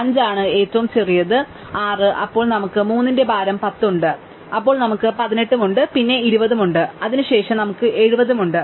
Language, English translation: Malayalam, So, 5 is the smallest then 6, then we have 3 of weight 10, then we have 18, then we have 20 and then we have 70